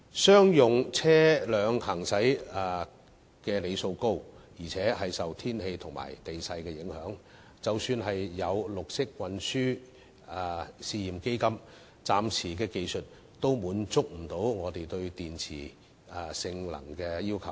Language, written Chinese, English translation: Cantonese, 商用車輛行駛里數高，亦受天氣和地勢影響，即使有綠色運輸試驗基金，技術暫時亦不能滿足我們對電池性能的要求。, Commercial vehicles have a high driving mileage and are affected by weather and topography . Despite having the Pilot Green Transport Fund the present technologies cannot provide a battery performance that can satisfy our needs